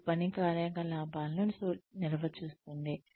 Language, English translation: Telugu, It defines work activities